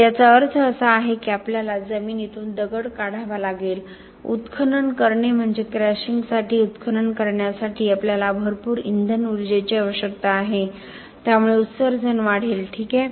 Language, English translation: Marathi, So, this means that we have to extract stone from the ground we have to quarry, quarrying means that you need a lot of fuel energy for quarrying for crushing so this is going to give rise to emissions ok